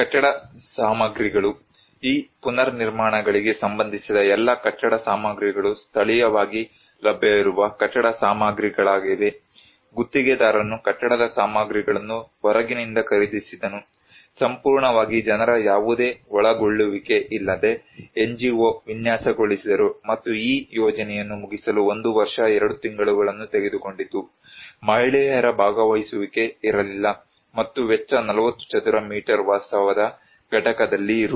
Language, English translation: Kannada, Building materials; all building materials for these reconstructions were locally available building materials, contractor bought the building materials from outside, entirely designed by the NGO without any involvement of the people and it took 1 year 2 months to finish this project, women participations was not there and cost was Rs